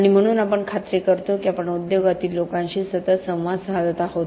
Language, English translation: Marathi, And so we make sure that we are interacting constantly with people in the industry